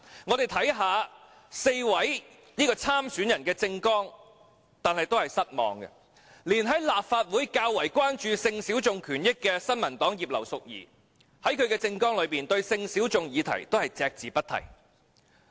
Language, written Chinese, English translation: Cantonese, 我們看到4位參選人的政綱，也感到失望，連在立法會較為關注性小眾權益的新民黨葉劉淑儀議員，其政綱對性小眾議題也隻字不提。, Reading the election manifestoes of the four aspirants we also feel disappointed . Even Mrs Regina IP from the New Peoples Party which has been comparatively more concerned about the rights and benefits of sexual minorities in the Legislative Council has made no mention at all of the question of sexual minorities in her manifesto